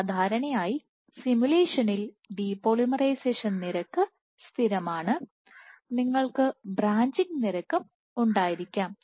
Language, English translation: Malayalam, So, typically in this simulation the depolymerization rate is constant and you can have the branching rate also